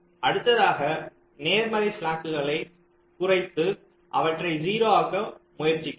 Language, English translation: Tamil, so we try to decrease the positive slacks and try to make them zero